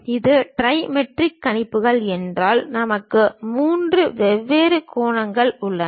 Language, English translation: Tamil, If it is trimetric projections, we have three different angles